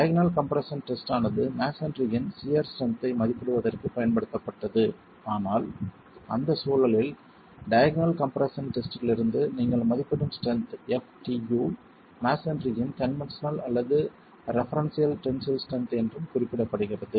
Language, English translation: Tamil, The diagonal compression test was used to estimate the sheer strength of masonry but in that context I was mentioning that the strength FTA that you estimate from the diagonal compression test is also referred to as the conventional or referential tensile strength of masonry